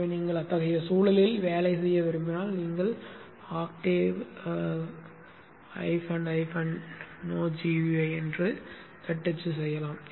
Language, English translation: Tamil, So if you want to work in such an environment which I also prefer you type Octave dash dash no GUI